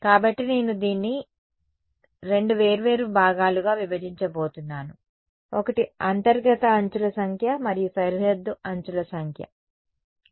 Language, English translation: Telugu, So, I am going to break this up into two different components, one is the number of interior edges and the number of boundary edges ok